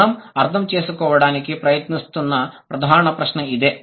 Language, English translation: Telugu, That's the main question that we are trying to understand